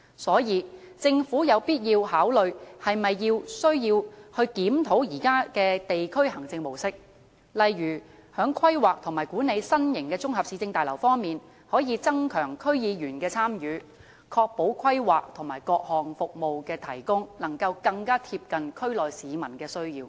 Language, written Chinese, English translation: Cantonese, 所以，政府有必要考慮需否檢討現時的地區行政模式，例如在規劃和管理新型綜合市政大樓方面，可以增強區議員的參與，確保規劃和各項服務的提供能夠更貼近區內市民的需要。, For this reason the Government has to consider whether a review of the existing district administration model is necessary . For example in respect of the planning and management of new municipal services complexes it may enhance the participation of DC members so as to ensure that the planning and provision of various services will better serve the needs of people in the districts